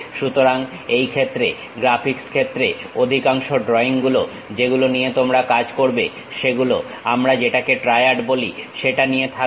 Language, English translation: Bengali, So, most of the drawings what you work on this area graphics area what we call will consist of triad